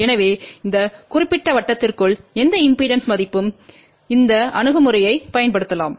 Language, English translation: Tamil, So, any impedance value with in this particular circle this approach can be used